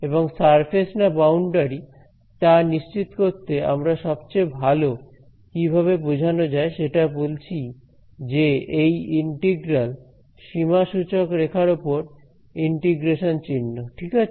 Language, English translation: Bengali, And to tell to make sure that its a surface or a boundary we are talking about the best indication is that this integral is a the symbol of integrations the contour integration right